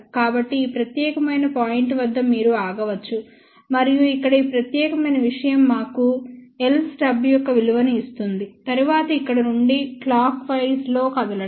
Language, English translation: Telugu, So, at this particular point you can stop and then, this particular thing over here will give us the value of l stub, then from here move in the clockwise direction